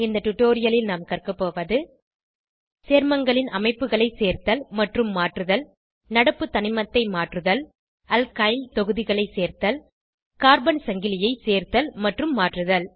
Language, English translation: Tamil, In this tutorial we have learnt to, * Add and modify structure of compounds * Change current element * Add Alkyl groups * Add and modify carbon chain As an assignment, Draw Octane structure